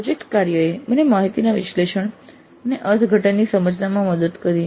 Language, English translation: Gujarati, Project work helped me in my understanding of analysis and interpretation of data